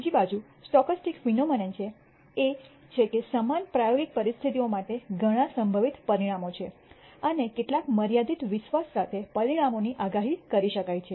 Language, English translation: Gujarati, On the other hand, stochastic phenomena are those there are many possible outcomes for the same experimental conditions and the outcomes can be predicted with some limited confidence